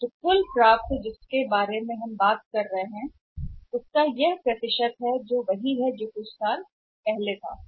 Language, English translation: Hindi, So, total receivables we are talking about and if this this this is the percentage which shows in the same time some years back